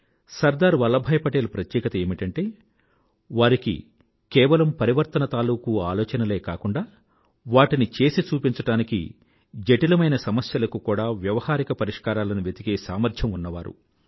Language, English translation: Telugu, Sardar Vallabhbhai Patel's speciality was that he not only put forth revolutionary ideas; he was immensely capable of devising practical solutions to the most complicated problems in the way